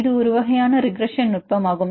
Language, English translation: Tamil, This is a kind of multiple regression technique